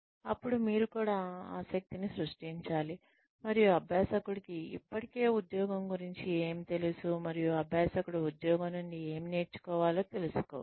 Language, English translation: Telugu, Then, you should also create an interest and find out, what the learner already knows about the job, and what the learner can learn from the job